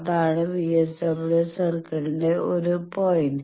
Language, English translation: Malayalam, That is one point of the VSWR circle